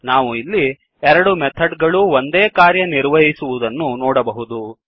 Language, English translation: Kannada, Now we see that both the method performs same operation